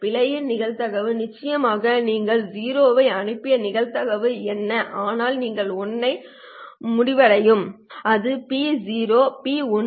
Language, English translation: Tamil, The probability of error is of course what is the probability that you have sent a 0 but you end up being 1 and that would be probability of 0 times probability of 1 given 0